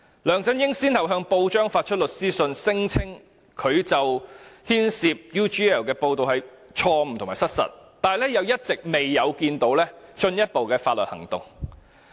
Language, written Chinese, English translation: Cantonese, 梁振英先後向報章發出律師信，聲稱他牽涉 UGL 的報道是錯誤和失實的，但一直沒有進一步採取法律行動。, LEUNG Chun - ying has sent legal letters to the press claiming that the reports on his involvement with UGL were wrong and untrue but he has not instituted further legal actions